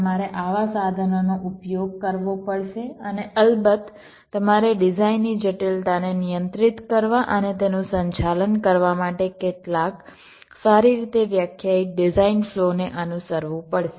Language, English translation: Gujarati, you will have to use such tools and, of course, you will have to follow some well defined design flow in order to control and manage the complexity of the designs